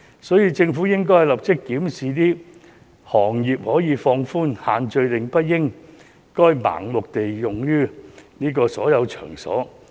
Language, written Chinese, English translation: Cantonese, 所以，政府應該立即檢視，放寬對相關行業的限制，因為限聚令不應該盲目適用於所有場所。, So why should banquets be banned? . Therefore the Government should immediately review and relax the restrictions on the relevant industries because social gathering restrictions should not be blindly applied to all venues